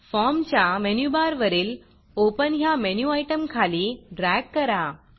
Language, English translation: Marathi, Select Menu Item Drag it to the Menu Bar below the Open menu item on the form